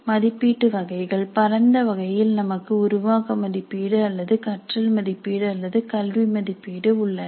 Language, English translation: Tamil, Types of assessment broadly we have formative assessment or what is called assessment for learning or educative assessment